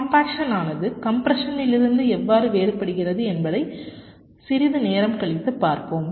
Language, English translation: Tamil, now we shall see a little later how compaction is different from compression